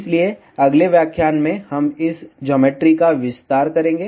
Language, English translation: Hindi, So, in the next lecture, we will extend this geometry